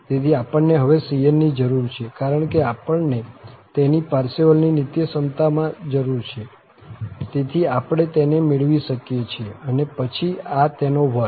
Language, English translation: Gujarati, So, its modulus now, because we need in the Parseval's identity, so, we can get it and then, so, this is the square